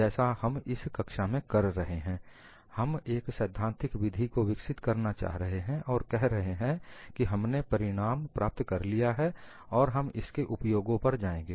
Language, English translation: Hindi, What we would do in the class is we would develop the theoretical method, and then we would say, we have got the result, and carry on with applications